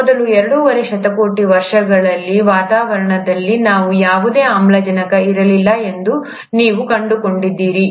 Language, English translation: Kannada, Almost for the first two and a half billion years, you find that there was hardly any oxygen in the atmosphere